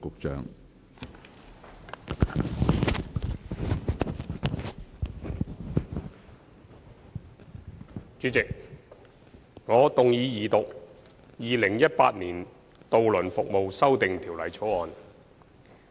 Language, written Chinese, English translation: Cantonese, 主席，我動議二讀《2018年渡輪服務條例草案》。, President I move the Second Reading of the Ferry Services Amendment Bill 2018 the Bill